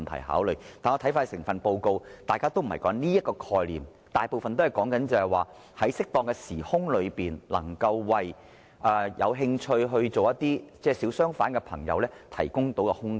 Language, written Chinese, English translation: Cantonese, 但是，當看完整份報告後，大家都會知道當中並不是說這個概念，而是說在適當的時空內為有興趣成為小商販的朋友提供空間。, However after reading the whole Report we know that another concept is stated . According to the Report space should be provided at the appropriate time to those who are interested to become small traders